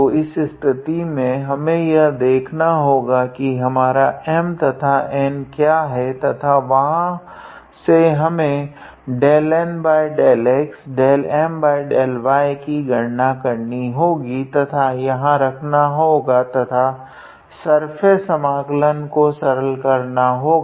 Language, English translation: Hindi, So, here in this case we had to guess what is our M and N and from there we had to calculate del N del x del M del y and then substitute here and simplify the surface integral